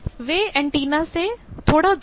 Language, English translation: Hindi, So, they are a bit away from the antenna